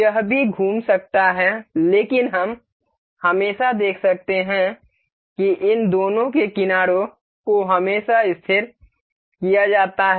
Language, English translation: Hindi, This can also rotate, but we can see always that this the edges of these two are always fixed